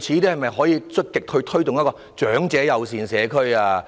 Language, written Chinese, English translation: Cantonese, 政府可否積極推動長者友善社區？, Can the Government proactively promote an elderly - friendly community?